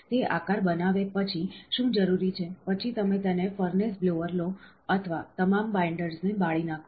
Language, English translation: Gujarati, After it forms a shape, what is required, then you take it a furnace blower or burn away all the binders